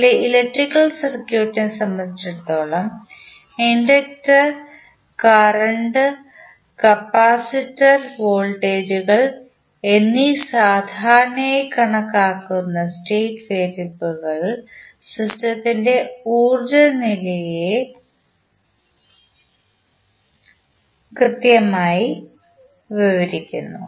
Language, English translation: Malayalam, With respect to our electrical circuit the state variables we generally consider as inductor current and capacitor voltages because they collectively describe the energy state of the system